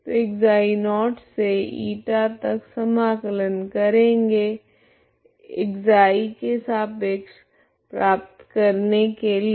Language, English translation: Hindi, So integrate from ξ0 to Eta with respect to ξ to get